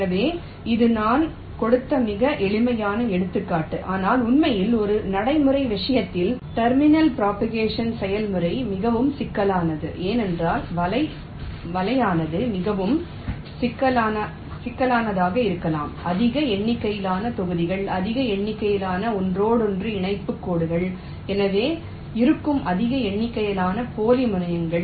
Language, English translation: Tamil, but actually in a practical case the terminal propagation process is very complex because the net can be pretty complicated: large number of blocks, large number of inter connection lines, so there will be large number of dummy terminals